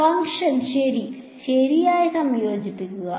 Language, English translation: Malayalam, Integrate the function right